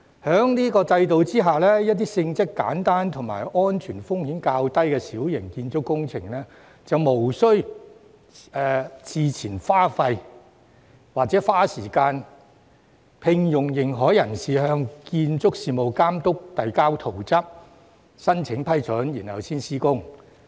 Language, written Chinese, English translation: Cantonese, 在此制度下，展開若干性質簡單和安全風險較低的小型建築工程前，不再須要事先花錢、花時間聘用認可人士，向建築事務監督遞交圖則和申請批准。, Under MWCS the existing requirements to seek prior approval for building plans and consent from the Building Authority to carry out minor works which are smaller in scale and pose a lower level of risk will be dispensed with to save money and time for engaging an authorized person